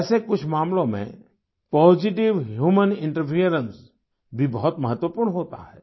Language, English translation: Hindi, However, in some cases, positive human interference is also very important